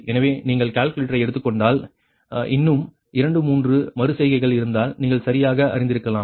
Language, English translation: Tamil, so if you take, if you do by are calculator, another two, three iterations, then you may be knowing right